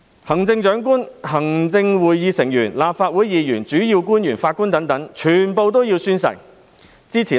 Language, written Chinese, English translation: Cantonese, 行政長官、行政會議成員、立法會議員、主要官員及法官等全部皆須宣誓。, The Chief Executive Executive Council Members Legislative Council Members Principal Officials and judges are all required to take oath